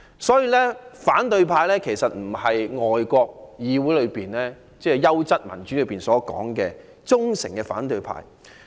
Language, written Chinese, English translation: Cantonese, 所以，香港的反對派其實並不是外國議會——即優質民主——中所指的"忠誠的反對派"。, Accordingly the opposition camp in Hong Kong is not the so - called loyal opposition in the parliaments of foreign countries which are democracies of a high quality